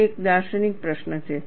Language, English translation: Gujarati, It is a philosophical question